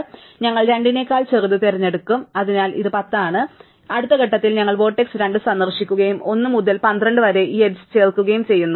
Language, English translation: Malayalam, So, we pick this one which is 10, and therefore at a next step we visit the vertex 2 and we add this edge 1 2 to our tree